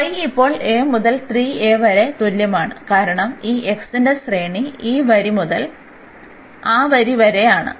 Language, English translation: Malayalam, So, y is equal to a to 3 a now for the range of this x is this line to that line